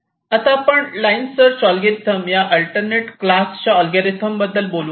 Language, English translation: Marathi, ok, now let us come to an alternate class of algorithms: line search algorithm